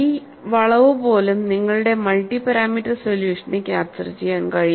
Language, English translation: Malayalam, Even this distortion, your multi parameter solution is able to capture